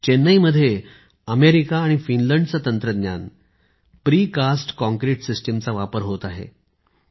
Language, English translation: Marathi, In Chennai, the Precast Concrete system technologies form America and Finland are being used